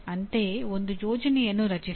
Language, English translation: Kannada, Similarly, create a plan